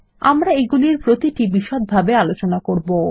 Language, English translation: Bengali, We will discuss each one of them in detail